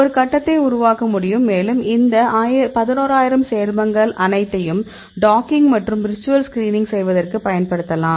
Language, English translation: Tamil, You can generate a grid and we can use all these 11000 compounds to dock; kind of virtual screening